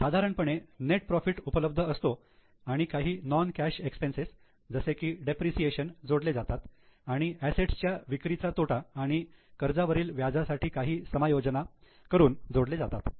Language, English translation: Marathi, So, normally net profit is available plus some non cash operating, non cash expenses like depreciation are added and some adjustments may be made for loss on sale of assets and interest on debts